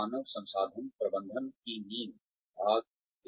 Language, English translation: Hindi, The foundations of Human Resources Management, Part One